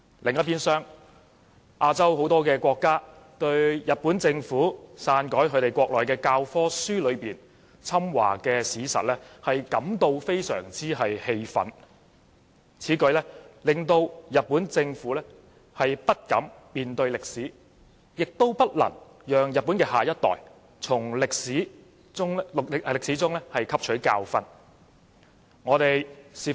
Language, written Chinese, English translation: Cantonese, 很多亞洲國家對日本政府篡改其教科書內侵華的史實，感到非常氣憤，此舉令人覺得日本政府不敢面對歷史，也不讓日本的下一代從歷史中汲取教訓。, Many Asian countries are very angry at the Japanese Government for tampering with the historical facts about its invasion of China in its history textbooks which gives people an impression that the Japanese Government dares not face up to history and disallows the next generation to learn lessons from history